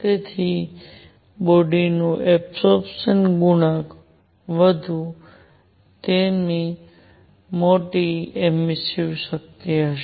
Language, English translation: Gujarati, So, higher the absorption coefficient of a body, larger will be its emissive power